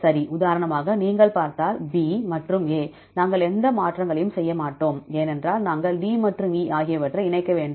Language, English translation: Tamil, For example, if you see, B and A, we do not make any changes, because we need to combine D and E